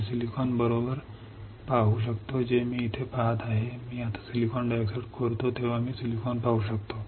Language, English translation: Marathi, I can see silicon right that is what I am looking here; I can see silicon when I etch the silicon dioxide now